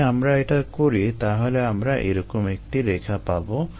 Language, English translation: Bengali, if we do that, then we get a curve like this